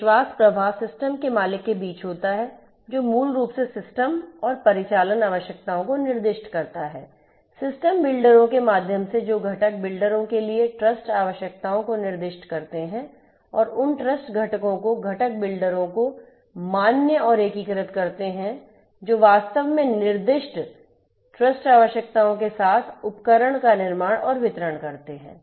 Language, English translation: Hindi, So, in IIoT system, trust flow happens between the system owner who basically specify the system and operational requirements; through the system builders who specify the trust requirements and test trust requirements for the component builders and validate and integrate those trust components to the component builders who actually build and deliver the devices with the specified trust requirements